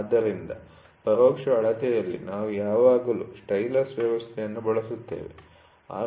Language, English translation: Kannada, So, in indirect measurement, we always use a stylus system